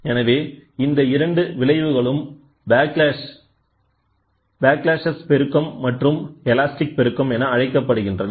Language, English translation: Tamil, So, these two effects are termed as backlash amplification and elastic amplification